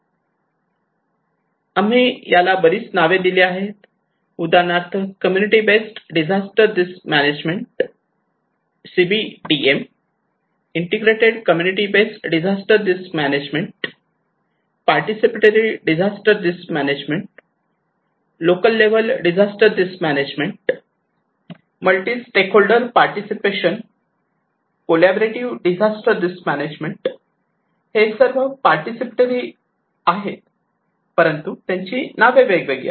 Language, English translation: Marathi, We give it so many names for example community based disaster risk management CBDM, integrated community based disaster risk management, participatory disaster risk management, local level disaster risk management, multi stakeholder participations, collaborative disaster risk management they all are considered to be participatory, but they have a different name